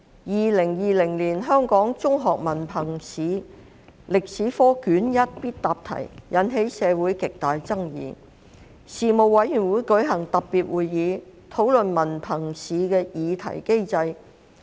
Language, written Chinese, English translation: Cantonese, 2020年香港中學文憑試歷史科卷一的必答題引起社會極大爭議。事務委員會舉行特別會議，討論文憑試的擬題機制。, In the light of the great disputes in society on a compulsory question in History Paper 1 of the 2020 Hong Kong Diploma of Secondary Education HKDSE Examination the Panel held a special meeting to discuss the question setting mechanism of HKDSE Examination